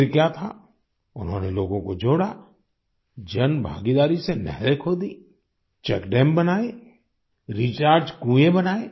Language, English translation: Hindi, And then…lo and behold they got people connected, dug up canals through public participation, constructed check dams and rechargewells